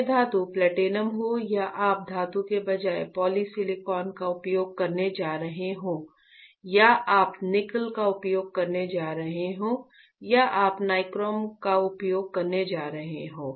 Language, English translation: Hindi, Whether the metal is platinum or metal is or you are you going to use polysilicon instead of metal or you are going to use nickel or you are going to use nichrome right